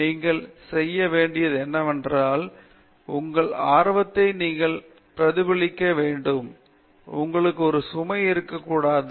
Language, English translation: Tamil, And you should, what you are doing it should reflect as your interest, should not be a burden for you